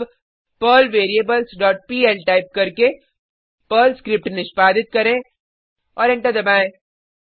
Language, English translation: Hindi, Now lets execute the Perl script by typing perl variables dot pl and press Enter